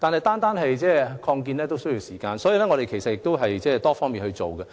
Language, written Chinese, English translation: Cantonese, 但是，擴建需要時間，所以，當局會從多方面着手。, However expansion takes time . Therefore the authorities will adopt a multi - pronged approach